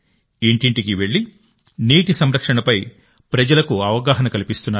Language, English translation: Telugu, They go doortodoor to make people aware of water conservation